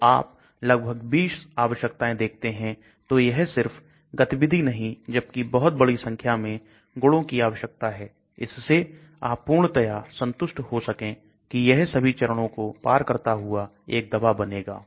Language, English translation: Hindi, So you see almost 20 requirements are there so it is not just activity, but a large number of requirements are needed so that you can be very sure that it can pass out as a drug